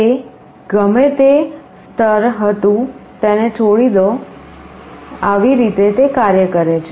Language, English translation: Gujarati, Whatever level was there you leave it, this is how it works